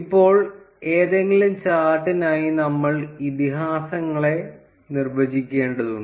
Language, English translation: Malayalam, Now, for any chart, we need to define the legends